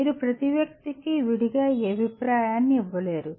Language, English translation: Telugu, You cannot give this feedback to each and every individual separately